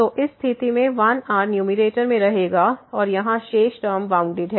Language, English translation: Hindi, So, in this case the 1 will survive in the numerator and the rest term here is bounded